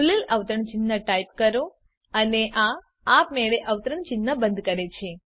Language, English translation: Gujarati, Type opening quotes and it automatically closes the quotes